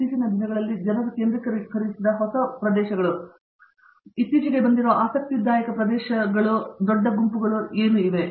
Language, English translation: Kannada, In recent times, what has been new areas that people have focused on, interesting areas that have come up recently that large groups are working on